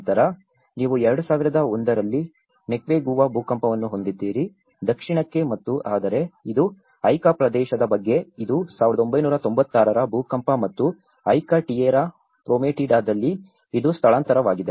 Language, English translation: Kannada, Then, you have the Moquegua earthquake in 2001, down south and whereas, this is about the Ica area, which is 1996 earthquake and as well as in Ica Tierra Prometida, which is the relocation